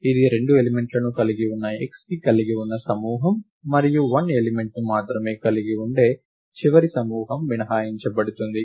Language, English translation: Telugu, This is except for the group containing x which has 2 elements, and the last group which may contain only 1 element